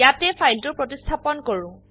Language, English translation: Assamese, Here let us replace the file